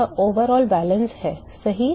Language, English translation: Hindi, This is overall balance right